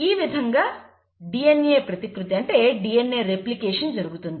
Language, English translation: Telugu, So this is how DNA replication takes place